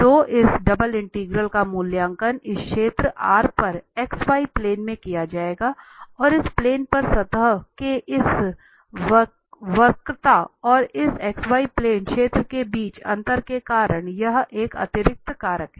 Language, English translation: Hindi, So this double integral will be evaluated on this region R in x y plane and there is an additional factor here because of the difference between this curvature of the surface and this plane area on this x y plane